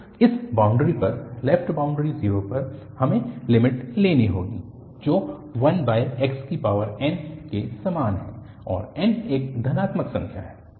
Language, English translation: Hindi, So, at this boundary, the left boundary at 0, we have to take the limit which is like x over n and n is a positive number